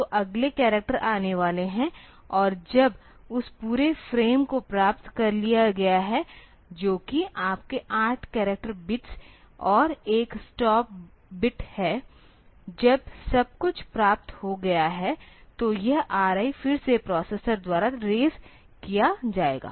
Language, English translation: Hindi, So, the next characters will be coming, and when that entire frame has been received that is your 8 character bits and 1 stop bit, when everything has been received then this R I will be raised again by the processor